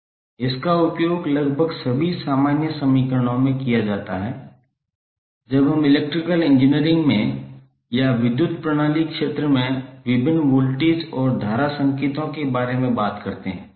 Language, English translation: Hindi, It is mostly used in almost all common equations when we talk about the various voltage and current signals in the electrical engineering or in the power system area